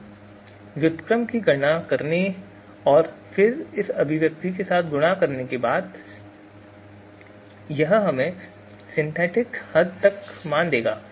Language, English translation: Hindi, So after computing this inverse and then multiplication with this expression, so this will give us the you know synthetic extent values